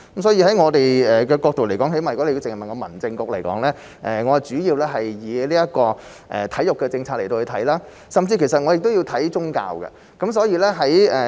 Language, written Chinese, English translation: Cantonese, 所以，從我們的角度而言，最低限度從民政事務局的角度而言，我們主要以體育政策來看，甚至亦要顧及宗教方面。, Hence from our point of view or at least from the perspective of the Home Affairs Bureau our main concern is the sports policy and may even have to take the religious aspect into consideration